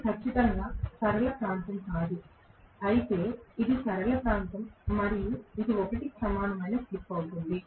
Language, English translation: Telugu, This is definitely not a linear region, whereas this is the linear region and this is going to be slip equal to 1